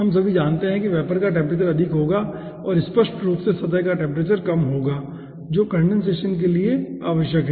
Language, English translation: Hindi, all we know, all of we know, that the vapor temperature will be at higher side and obviously surface temperature will be at the lower side, which is necessary for condensation